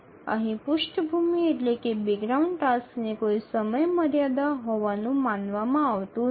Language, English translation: Gujarati, So the background task we don't consider them having a deadline